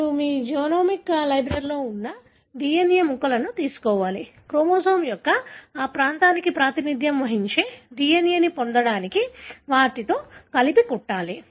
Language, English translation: Telugu, So you have to, you have to take pieces of the DNA that are there in your genomic library, stitch them together to get the DNA representing that region of the chromosome